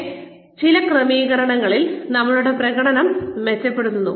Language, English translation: Malayalam, But, in certain settings, our performance tends to get better